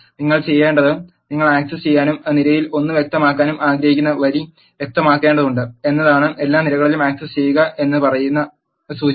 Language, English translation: Malayalam, What you need to do is you need to specify the row which you want to access and specify nothing in the column index which says access all the columns